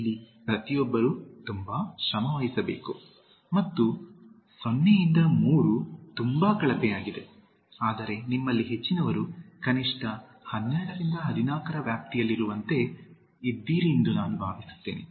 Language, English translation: Kannada, One has to work very hard and 0 to 3 is very poor, but I hope like most of you are in the range of at least 12 to 14